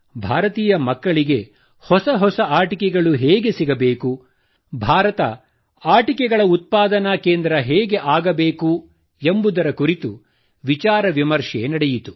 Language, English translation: Kannada, We discussed how to make new toys available to the children of India, how India could become a big hub of toy production